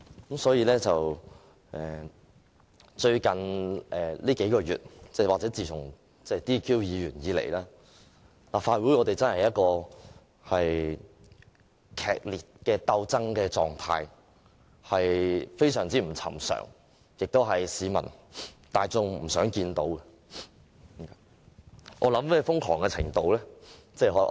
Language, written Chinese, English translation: Cantonese, 近數月，又或自從有議員被取消資格以來，立法會處於劇烈鬥爭狀態，情況極不尋常，這是市民大眾不希望看到的。, In the last several months since some Members were disqualified the Legislative Council has been caught in a fierce struggle . This is an extremely unusual situation which the public would not wish to see